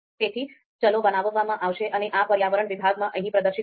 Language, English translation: Gujarati, So those variables are going to be created and would be displayed here in this environment section